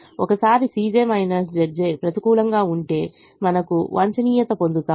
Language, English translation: Telugu, and once all c j minus z j's were negative, we got optimum